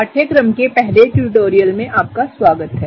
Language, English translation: Hindi, Welcome to the first tutorial of the course